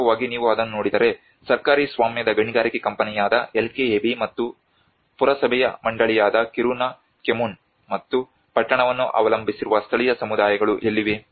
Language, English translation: Kannada, In fact, if you look at it there is a LKAB which is a state owned mining company and the Kiruna kommun which is a municipal board and where is the local communities the people who are actually relying on the town